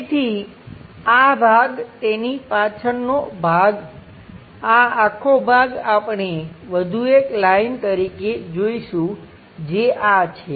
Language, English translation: Gujarati, Again this part the back side of that this entire part we will see as one more line that is this